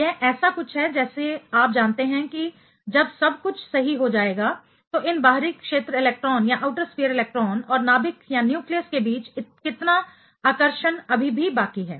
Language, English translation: Hindi, It is a its something like you know when everything settles down, how much attraction still left for between these outer sphere electron and the and the nucleus